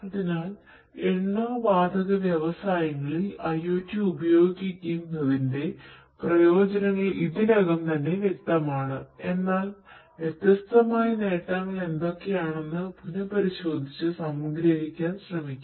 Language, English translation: Malayalam, So, the benefits of using IoT in oil and gas industries is already quite apparent, but essentially let us recap and try to summarize what are the different benefits